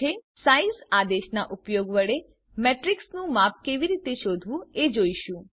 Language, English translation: Gujarati, We will now see how to find the size of a Matrix using the size command